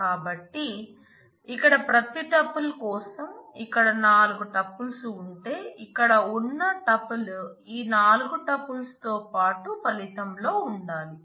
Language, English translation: Telugu, So, for every tuple here if there are say four tuples here, a tuple here must have all these four tuples along with it in the result